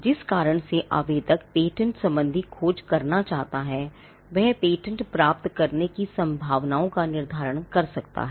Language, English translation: Hindi, Now, the reason an applicant may want to do a patentability search is to determine the chances of obtaining a patent